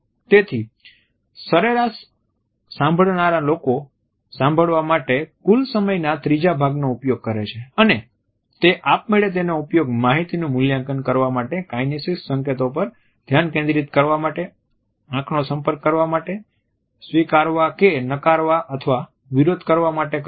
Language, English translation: Gujarati, Therefore, we find that average listeners have three quarters of the listening time and they automatically use it to evaluate the content of what is being set; to focus on the kinesics signals, to look at the eyes, to accept reject or contest what is being set